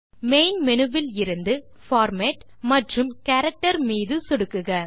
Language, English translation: Tamil, From the Main menu, click Format and select Character